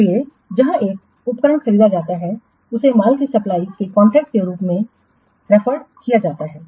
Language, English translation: Hindi, So, here an equipment is purchased, it is referred to as a contract for the supply of course